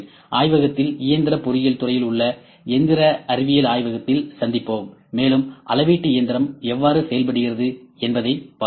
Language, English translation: Tamil, And we will meet in the machining science lab in mechanical engineering department in the laboratory, and we will see how coordinate measuring machine works